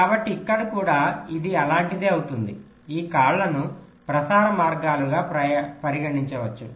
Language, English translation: Telugu, so it will be something like this: these legs can be treated as transmission lines